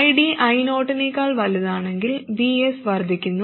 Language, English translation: Malayalam, If ID is greater than I0, VS increases and we want to reduce VG